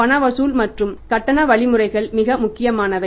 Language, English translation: Tamil, Cash collection and the payment mechanism is very very important